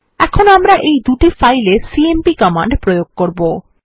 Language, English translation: Bengali, Now we would apply the cmp command on this two files